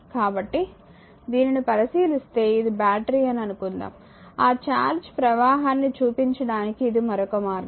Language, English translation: Telugu, So, if you look at this, suppose this is battery this is shown little bit you know bigger way to show that your charge flowing